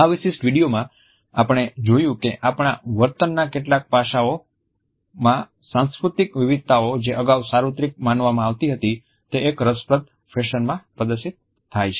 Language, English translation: Gujarati, In this particular video, we find that cultural variations in certain aspects of our behavior which was earlier considered to be universal are displayed in an interesting fashion